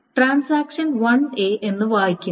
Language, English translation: Malayalam, The transaction 1 has read A